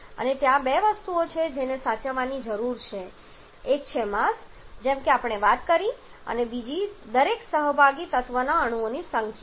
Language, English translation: Gujarati, So, there are 2 things that has to be conserved one is the mass as we are talking about and secondly the number of atoms of each participating element